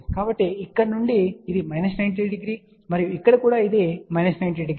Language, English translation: Telugu, So, from here this is minus 90 degree and this one here is also minus 90 degree